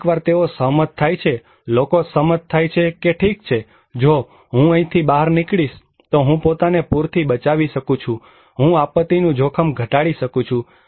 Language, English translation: Gujarati, Sometimes, it is very agreed, people agreed that okay, if I evacuate I can protect myself from flood, I can mitigate, reduce the disaster risk